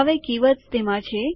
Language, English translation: Gujarati, Now the keywords are in here